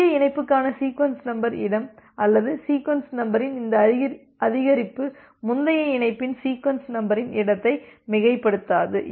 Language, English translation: Tamil, So, that the sequence number space or this increase of the sequence number for the new connection does not overshoot the sequence number space of the previous connection